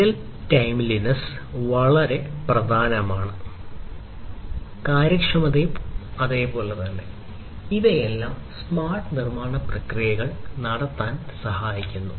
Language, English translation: Malayalam, Real timeliness is very important, efficiency is very important; so all of these help in having smart manufacturing processes